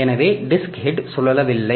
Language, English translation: Tamil, So, disc head does not rotate